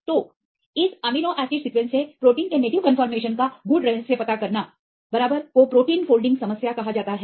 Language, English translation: Hindi, So, deciphering the native conformation of protein from this amino acid sequence rights this is called protein folding problem